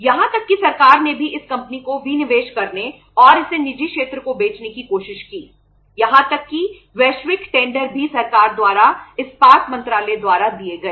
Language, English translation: Hindi, Even the government also tried to disinvest this company and to sell it to the private sector and to sell it to the private sector even the global tenders were given by the government by the Ministry of Steel